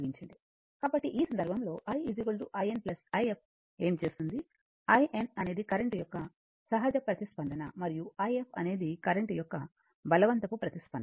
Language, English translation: Telugu, So, in this case in this case, what we will do that we write i is equal to i n plus i f, i n is the natural response of the current and i f is the forced response of the current